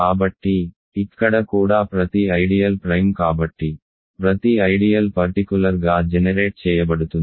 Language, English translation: Telugu, So, here also every ideal is principal so every ideal is finitely generated in particular